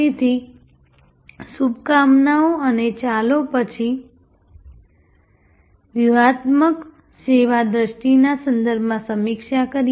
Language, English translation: Gujarati, So, best of luck and let us review then in the context of strategic service vision